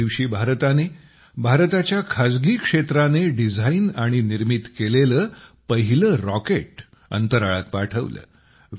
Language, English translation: Marathi, On this day, India sent its first such rocket into space, which was designed and prepared by the private sector of India